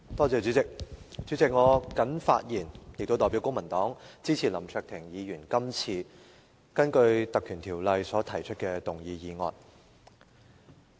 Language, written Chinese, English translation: Cantonese, 主席，我謹發言代表公民黨支持林卓廷議員根據《立法會條例》所提出的議案。, President on behalf of the Civic Party I rise to speak in support of the motion moved under the Legislative Council Ordinance by Mr LAM Cheuk - ting